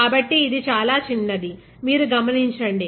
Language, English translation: Telugu, So, this is very very small, you observe